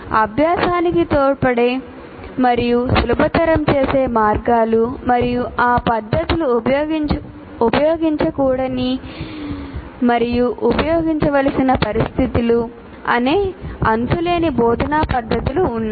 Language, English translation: Telugu, There are endless number of methods of instruction that is essentially ways to support and facilitate learning and the situations in which those methods should and should not be used